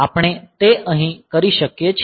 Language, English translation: Gujarati, So, we can do that here